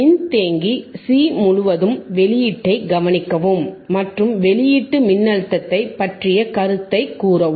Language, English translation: Tamil, oObserve the output across the capacitor C and comment on the output voltage, comment on the output voltage